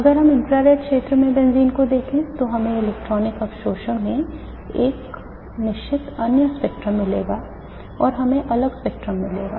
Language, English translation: Hindi, If we look at the benzene in the infrared region we will get a certain other spectrum in the photo electron, in the electronic absorption in we will get different spectrum